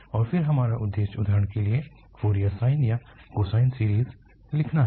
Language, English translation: Hindi, And then our aim is for instance to write Fourier sine or cosine series